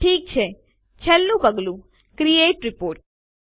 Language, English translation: Gujarati, Okay, last step Create Report